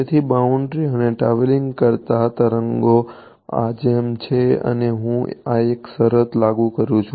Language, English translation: Gujarati, So, boundary and a wave travels like this and I impose the condition this one